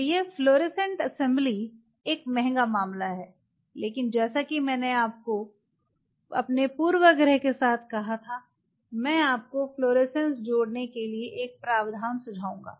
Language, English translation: Hindi, So, this fluorescent assembly is a costly affair, but as I told you with my biasness I will recommend you have a provision for adding fluorescence you will be benefited by it do not leave it because this is needed